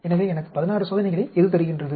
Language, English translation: Tamil, So, what gives me 16 experiments